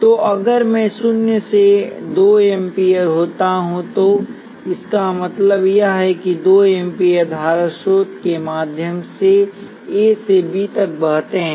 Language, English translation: Hindi, So if I naught happens to be 2 amperes, what it means is that 2 amperes flows from A to B through the current source